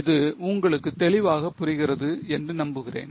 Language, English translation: Tamil, I hope it is getting clear to you